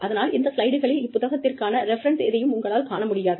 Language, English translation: Tamil, So, you will not see, references to this book, in these slides